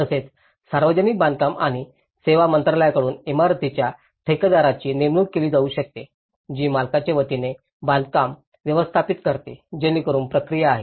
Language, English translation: Marathi, And also, a building contractor would may be hired by the Ministry of Public Works and services who manages the construction on behalf of the owner, so that is process